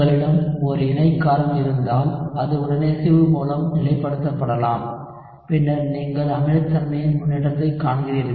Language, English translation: Tamil, So, if you have a conjugate base, which can be stabilized by resonance, then you see an improvement in acidity